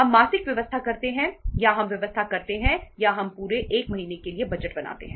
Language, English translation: Hindi, We make monthly arrangements or we make the arrangement or we make the budgets for 1 full month